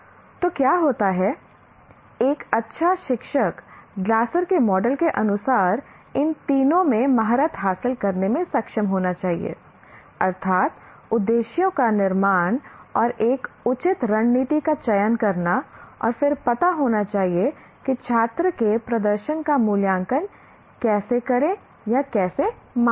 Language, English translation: Hindi, So what happens is a good teacher as per Glacers model should be able to master these three, namely formulation of objectives and selecting a proper strategy and then must know how to evaluate or how to measure the performance of the student